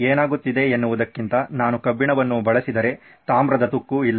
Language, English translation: Kannada, If I use iron than what is happening is there is no copper corrosion